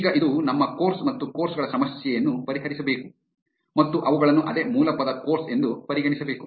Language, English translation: Kannada, Now, this should solve our course and courses problem and consider them as the same base word course